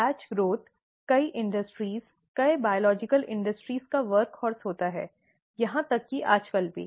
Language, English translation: Hindi, Batch growth happens to be the work horse of many industries, many biological industries, now even nowadays